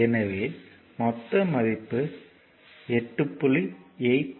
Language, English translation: Tamil, So, total will be 8